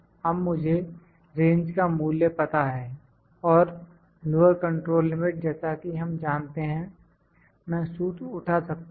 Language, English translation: Hindi, Now, I know the my value of the range and lower control limit as I know I can pick the formula